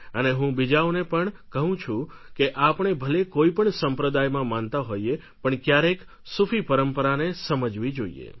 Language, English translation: Gujarati, And I would like to tell all that whatever faith one follows, we should definitely experience Sufism once